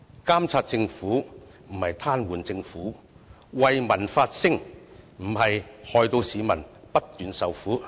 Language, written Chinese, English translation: Cantonese, 監察政府，不是癱瘓政府；為民發聲，不是害市民不斷受苦。, Monitoring the Government is not tantamount to paralysing the Government; voicing out for the public is not tantamount to making people suffer incessantly